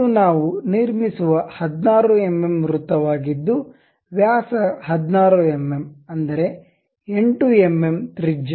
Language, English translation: Kannada, This is a circular one of 16 mm we construct, 16 mm diameter; that means, 8 mm radius